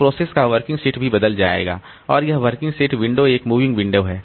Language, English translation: Hindi, So, the working set of the process will also change and this working set window is a moving window